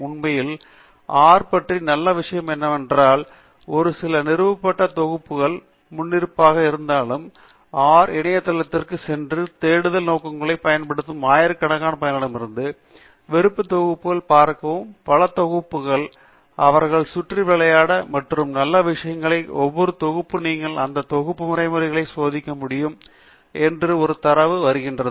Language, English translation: Tamil, In fact, the nice thing about R is that it comes, although it comes with a few installed packages by default, one can go to the R website and look for packages of interest from the thousands of user contributed packages meant for additional purposes and there are many, many such packages, play around with them and the other nice thing is each package comes with a data set that you can test the routines in that package